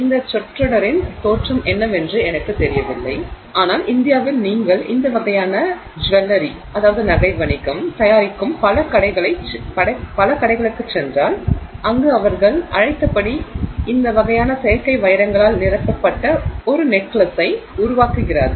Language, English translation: Tamil, I am not really sure what the origin of this phrase is but in India if you go to many of these stores where they make this kind of jewelry where they make you know say a necklace which is filled with these kinds of artificial diamonds as they are called, they tend to call them as American diamonds